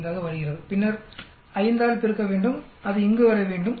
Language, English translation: Tamil, 5 then multiply by 5 that should come here